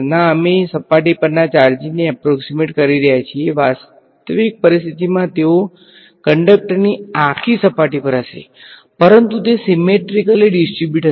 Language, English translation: Gujarati, No, we are approximating the charges to be a on the surface, in a realistic situation they will be smeared all over the surface of the conductor right, but they will be symmetrically distributed